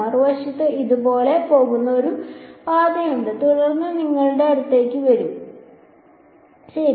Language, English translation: Malayalam, On the other hand there is a path that seems to go like this and then come to you over here ok